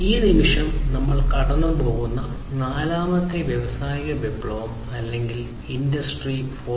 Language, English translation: Malayalam, And this is this fourth industrial revolution or the Industry 4